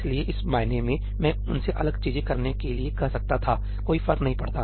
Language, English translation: Hindi, So, in that sense I could ask them to do different things does not matter